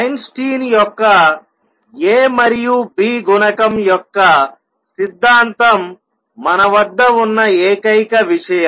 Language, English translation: Telugu, The only thing that we have is Einstein’s theory of a and b coefficient